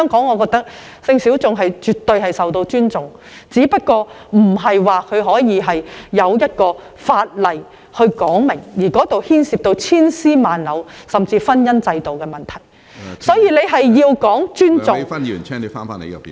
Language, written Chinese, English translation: Cantonese, 我認為性小眾在香港絕對受到尊重，只是未有相關的法例，而這牽涉千絲萬縷甚至是婚姻制度的問題，所以大家必須尊重......, I think that the sexual minorities are absolutely respected in Hong Kong . The problem is that no relevant legislation has been enacted and this involves intricate issues such as the marriage system . Therefore we must respect